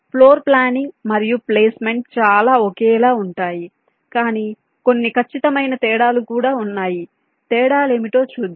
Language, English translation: Telugu, floor planning and placement are quite similar, but there are some precise differences